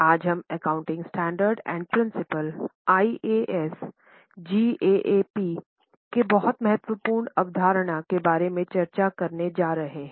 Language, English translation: Hindi, Today we are going to discuss about very important concept of accounting principles, accounting standards, IAS GAAP and so on